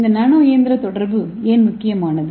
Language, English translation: Tamil, So now let us see a nano machine communication